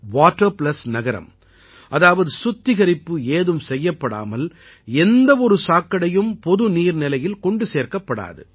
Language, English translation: Tamil, 'Water Plus City' means a city where no sewage is dumped into any public water source without treatment